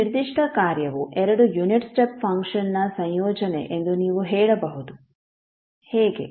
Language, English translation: Kannada, So you can say that this particular function is combination of two unit step function, how